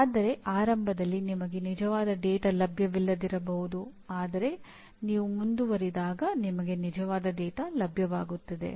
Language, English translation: Kannada, But initially you may not have access to actual data but as you go along you will have access to the actual data